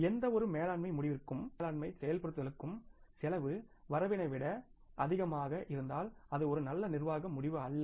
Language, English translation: Tamil, For any management decision, implementation of any management decision, if the cost is more than the benefits, that is not a good management decision, that is not a good business decision